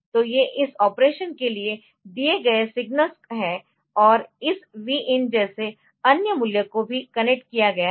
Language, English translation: Hindi, So, these are the signals given for this operation and other values like this Vin is coming from say the Vin is connected